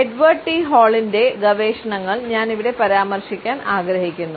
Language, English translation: Malayalam, I would refer to the researches of Edward T Hall